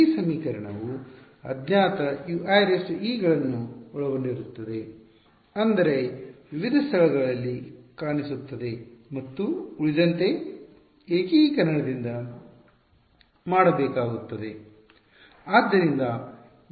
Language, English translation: Kannada, This equation will contain the unknowns U i e’s will appear at various places and everything else will have to be done by integration right